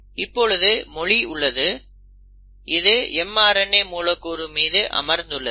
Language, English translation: Tamil, So that is the language, and now that language is there in that language is sitting on the mRNA molecule